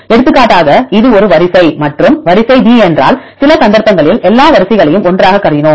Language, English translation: Tamil, Right for example, if this is the sequence a and sequence b some cases we considered all the sequence together